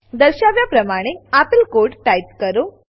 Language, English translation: Gujarati, Type the following piece of code as shown